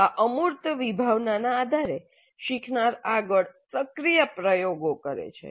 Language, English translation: Gujarati, Based on this abstract conceptualization, learner does further experimentation, active experimentation